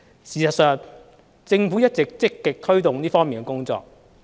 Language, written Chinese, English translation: Cantonese, 事實上，政府一直積極推動這方面的工作。, In fact the Government has been actively taking forward the work in this area